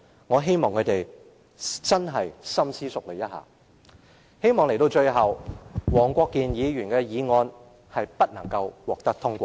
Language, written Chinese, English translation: Cantonese, 我希望他們深思熟慮。我希望最終黃國健議員的議案不獲通過。, I hope that they will give serious consideration and I also hope that Mr WONG Kwok - kins motion will be negatived in the end